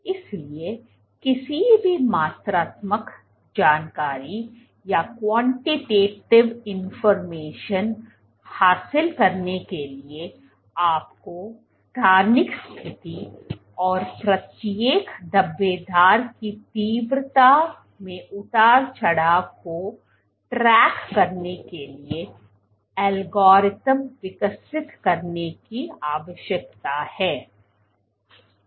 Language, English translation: Hindi, So, in order to gain any quantitative information, you need to develop algorithms to track spatial position and intensity fluctuation of each and every speckle